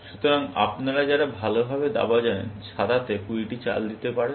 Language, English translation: Bengali, So, those of you, who know chess, at the top level, white can make 20 moves, essentially